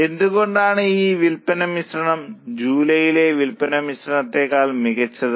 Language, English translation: Malayalam, Why this sales mix is superior to sales mix of July